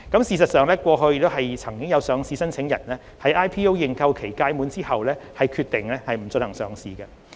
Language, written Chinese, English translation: Cantonese, 事實上，過去亦曾有上市申請人在 IPO 認購期屆滿後決定不進行上市。, In fact there were cases in which listing applicants have decided not to proceed with listing after the end of the IPO subscription period